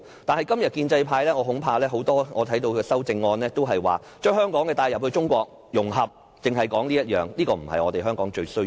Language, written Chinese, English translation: Cantonese, 但是，今天我看到很多建制派議員的修正案，都是提議將香港帶入中國、融合，只是說這點，但這不是香港最需要的。, Sadly I notice that many of the amendments which pro - establishment Members put forward today are wholly about merging Hong Kong into China about its integration with China . But this is not what Hong Kong needs most